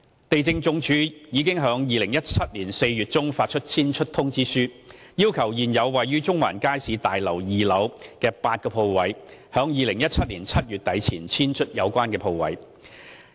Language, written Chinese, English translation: Cantonese, 地政總署已於2017年4月中發出遷出通知，要求現時位於中環街市大樓2樓的8個鋪位租戶於2017年7月底前遷出有關鋪位。, LandsD issued notices of termination in mid - April 2017 to request the eight tenants concerned on the second floor of the Central Market Building to vacate the premises before end July 2017